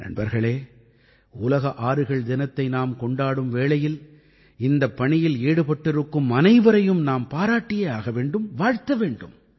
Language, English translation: Tamil, when we are celebrating 'World River Day' today, I praise and greet all dedicated to this work